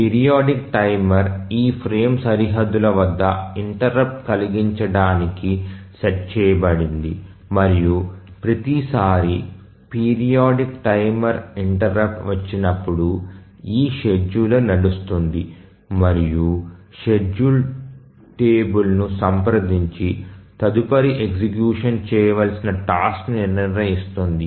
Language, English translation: Telugu, And the periodic timer is set to give an interrupt at these frame boundaries and each time a periodic timer interrupt comes, the scheduler runs and decides the next task to execute by consulting the schedule table